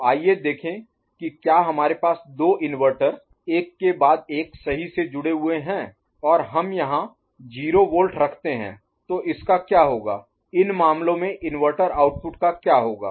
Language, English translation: Hindi, So, let us see if we have 2 inverters connected one after another right, and we place a 0 volt here what will happen to it to the inverter outputs in these cases